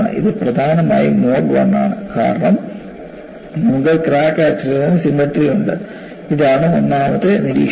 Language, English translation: Malayalam, It is essentially mode 1, because you have symmetry about the crack axis; this is observation number one